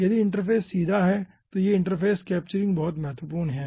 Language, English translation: Hindi, okay, so this interface capturing is very important